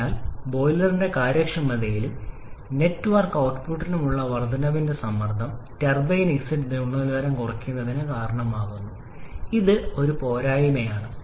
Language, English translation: Malayalam, So, the increase in boiler pressure gives you the advantage of an increase in the efficiency and network output, but that causes a reduction in a turbine exit quality which is a disadvantage